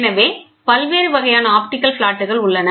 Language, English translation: Tamil, So, different types of optical flats are there